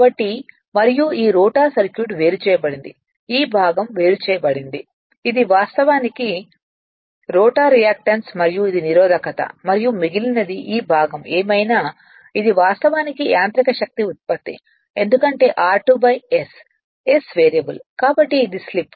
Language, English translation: Telugu, So, and this this is separated right this rotor circuit this part is separated this is actually rotor reactance and this is your resistance and rest this is whatever this part right this is actually mechanical power output because r 2 by s s is variable right so it is slip